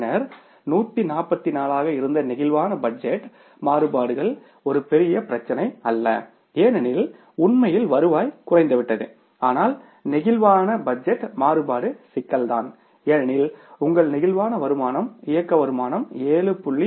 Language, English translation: Tamil, So, sales activity variance is not that means a big problem because actually the revenue has come down but the flexible budget variance problem is the problem because your flexible income is the operating income at 7